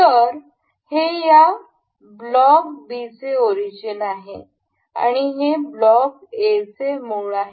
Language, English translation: Marathi, So, this is the origin for this block block B this is the origin for block A and this is the origin of the complete assembly